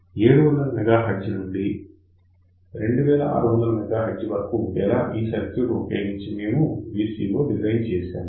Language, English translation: Telugu, In fact, we have used this particular circuit to design a VCO which works from 700 megahertz till 2600 megahertz